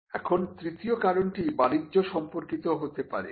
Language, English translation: Bengali, Now, the third reason could be reasons pertaining to commerce